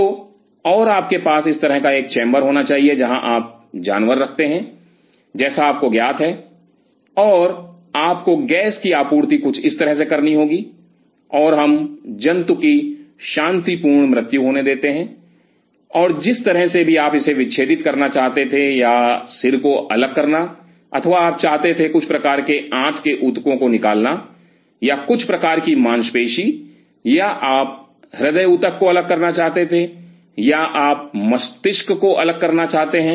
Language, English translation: Hindi, So, and you have to have a chamber this kind of a chamber like you know where you keep the animal, and you have to have a gas supply something like this and we allow the animal to have a peaceful death and then whatever way you wanted to dissect it out or you decapitating the head or you wanted to remove some kind of a gut tissue or some kind of muscle or you wanted to do a isolate the cardiac tissue you want to isolate the brain